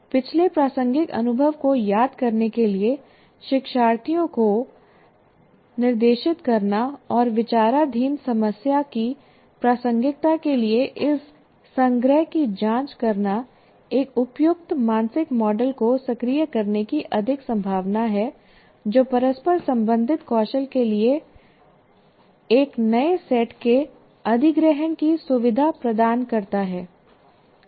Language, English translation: Hindi, Directing learners to recall past relevant experience and checking this recollection for relevance to the problem under consideration are more likely to activate appropriate mental model that facilitates the acquisition of new set of interrelated skills